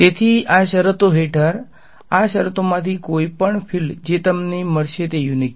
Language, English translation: Gujarati, So, under these conditions any of these conditions the field that you will get is unique